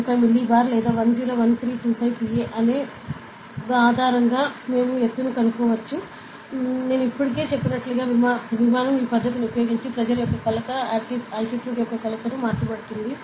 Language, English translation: Telugu, 25 millibar or 101325 Pascal, we can calculate Altitude, As I already said aircrafts use this method to of like the measurement of pressure will be converted to the measurement of Altitude, ok